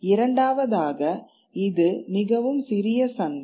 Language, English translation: Tamil, it would be a very small, minuscule market